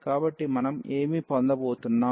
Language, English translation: Telugu, So, what we are going to have